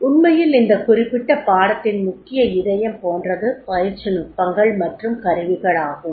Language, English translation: Tamil, Actually in this particular course, the core heart of this particular course is and that is the training techniques and tools